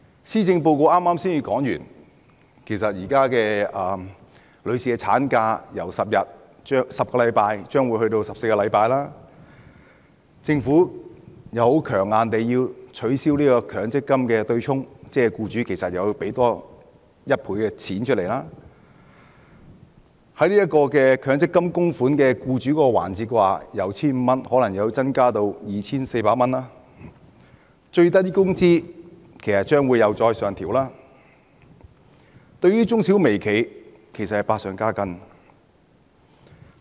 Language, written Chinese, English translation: Cantonese, 施政報告才剛剛提出將婦女產假由10星期增至14星期，政府又強硬地要取消強積金對沖，換言之，僱主要多付1倍金額，而強積金供款方面，僱主供款可能由 1,500 元增至 2,400 元，最低工資又將會上調，對於中小微企其實是百上加斤。, The Policy Address has just proposed extending maternity leave from 10 weeks to 14 weeks and the Government is taking a hard line on abolishing the offsetting arrangement under the Mandatory Provident Fund MPF scheme . In other words the amount to be paid by employers will be doubled and meanwhile employers may have to increase their MPF contributions from 1,500 to 2,400 and are faced with the prospect of an upward adjustment to the minimum wage . All these will actually add to the burden of micro small and medium enterprises